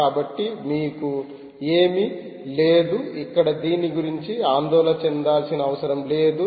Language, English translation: Telugu, so, ah, you have nothing to you, dont have to worry about anything here